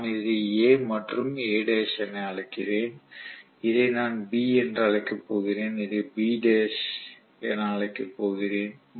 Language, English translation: Tamil, So let me call this as A and A dash and I am going to call this as B and I am going to call this as B dash